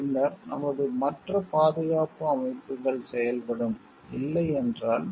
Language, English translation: Tamil, Then, our other safe safety systems operating, no